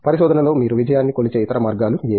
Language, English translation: Telugu, How other ways in which you measure success in research